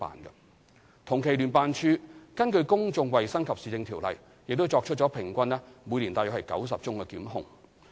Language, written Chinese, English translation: Cantonese, 聯辦處根據《公眾衞生及市政條例》作出平均每年約90宗檢控。, Over the same period JO instigated about 90 prosecutions under the Public Health and Municipal Services Ordinance annually